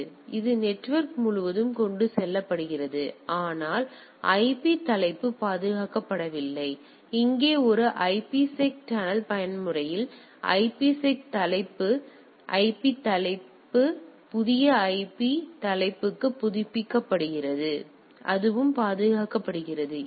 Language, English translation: Tamil, So, it is transported across the network so, but the IP header is not protected; in a in case of a IPSec tunnel mode here the IPSec header IP header is updated to a new IP header; so, that is also protected